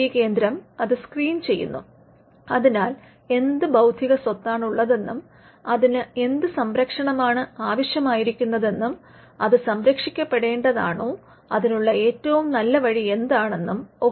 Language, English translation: Malayalam, So, identifying is something that the IP centre needs to do, then the IP centre needs to screen the IP, look at the intellectual property, what kind of protection is required for it, whether it can be protected, what is the best way to do it